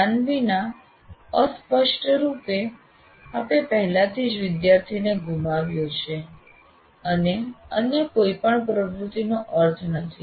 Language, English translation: Gujarati, And without attention, obviously, you already lost the student and none of the other activities will have any meaning